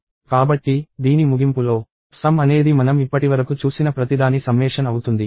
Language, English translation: Telugu, So, at the end of this, the sum will be the summation of everything that we have seen so far